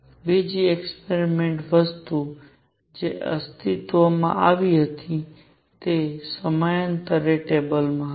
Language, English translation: Gujarati, The other experiment thing that existed was periodic table